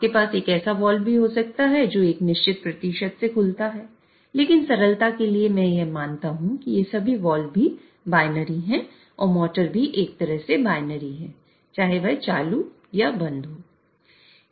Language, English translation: Hindi, You can also have a wall which opens by a certain percentage but for simplicity let me just consider that all these walls are also binary and the motor is also binary in a way that whether it is on or off